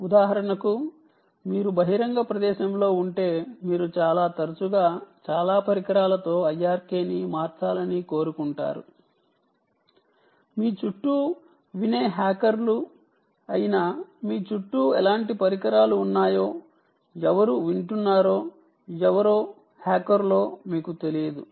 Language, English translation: Telugu, if you are in a public place, you perhaps want to keep changing the ah i r k very, very often with many, many devices, you dont know what kind of devices are around you, who are hackers, who are listening to you